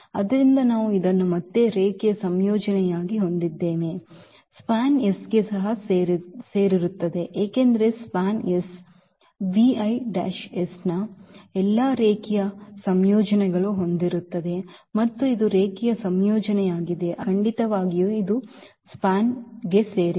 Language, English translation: Kannada, So, we have again this as a linear combination so, this will also belong to span S because this span S contains all linear combination of the v i’s and this is a linear combination so, definitely this will also belong to the span S